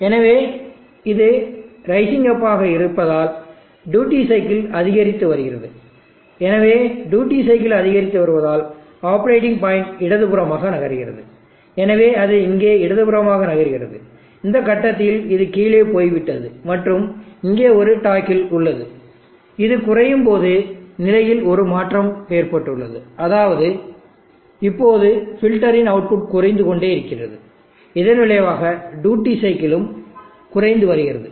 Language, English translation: Tamil, So as it is rising up the duty cycle is increasing, so duty cycle is increasing means that the operating point is moving to the left, so it is moving to the left here and at this point this has gone down and there is a toggle and there is a change in the state when this goes down which means now the filter output is going down implying the duty cycle is decreasing